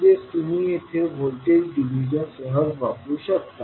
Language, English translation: Marathi, So you can simply use voltage division here